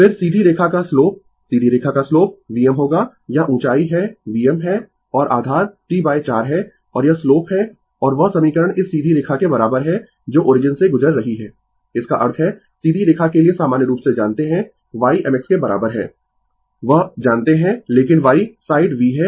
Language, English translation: Hindi, Then, the slope of the straight line the slope of the straight line will be V m ah this is the height is V m and base is T by 4 right and this is the slope and that equation is equal to this this straight line is passing through the origin; that means, you are you know in general for straight line y is equal to m x that you know, but y side is v